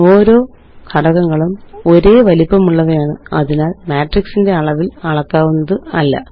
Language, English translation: Malayalam, They are of the same size as each element, and hence are not scalable to the size of the matrix